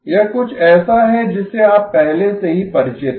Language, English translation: Hindi, This is something you already are familiar with